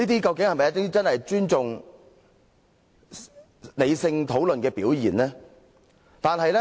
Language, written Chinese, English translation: Cantonese, 這是否真正尊重理性討論的表現？, Is this a manifestation of true respect for rational discussion?